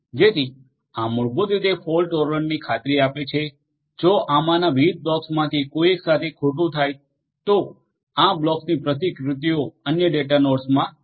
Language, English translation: Gujarati, So, this basically ensures fault tolerant; if something goes wrong with one of these different blocks the other blocks the replicas of these different blocks are there in the other data nodes